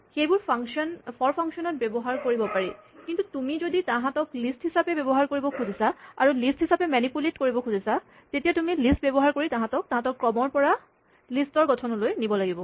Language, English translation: Assamese, These sequences are not absolutely lists; they can be used in for functions but if you want to use them as lists, and manipulate them as lists, you must use list to convert them from their sequence to the list form